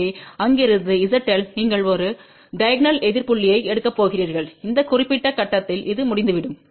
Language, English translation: Tamil, So, from their Z L you are going to take a diagonal opposite point and that will be over here at this particular point